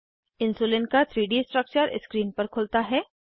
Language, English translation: Hindi, 3D Structure of Insulin opens on screen